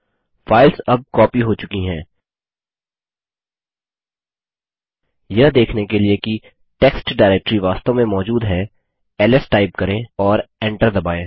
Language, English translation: Hindi, The files have now been copied, to see that the test directory actually exist type ls and press enter